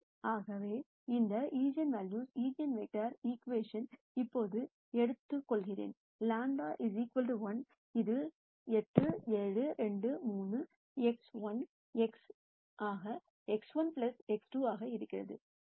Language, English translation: Tamil, So, I take this eigenvalue eigen vector equation now that I know lambda equal to 1, this becomes 8 7 2 3 x 1 x 2 is x 1 plus x 2